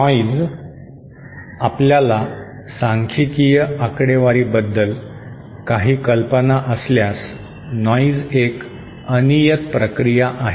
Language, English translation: Marathi, Noise if you have any idea about statistical statistics, noise is known as a noise is a random process